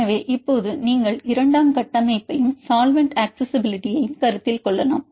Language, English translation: Tamil, So, now at then you can also consider secondary structure as well as solvent accessibility you can see this effect